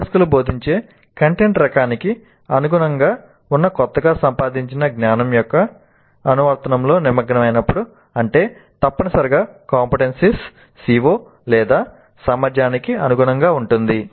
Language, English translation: Telugu, So when learners engage in application of their newly acquired knowledge that is consistent with the type of content being taught which essentially means consistent with the CBO or competency